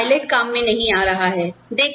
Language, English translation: Hindi, No pilots are coming into work, today